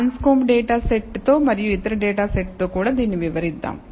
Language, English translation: Telugu, So, let us do this illustrate with the anscombe data set and also other data set